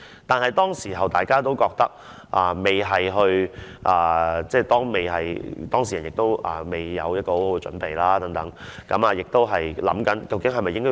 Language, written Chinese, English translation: Cantonese, 但是，當時大家都不覺得有甚麼，而當事人也沒有準備好和考慮好究竟是否需要公開事件。, However we did not feel that was a big deal as the relevant person was not ready and had not considered if the incident should be made public at that time